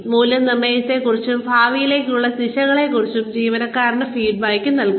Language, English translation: Malayalam, Give feedback to the employee, regarding appraisal, and directions for the future